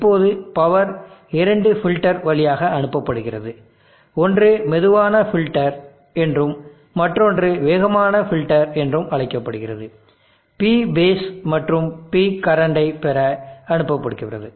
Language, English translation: Tamil, Now the power is pass through two filters, one is called the slow filter and another called the fast filter, to obtain P base and P current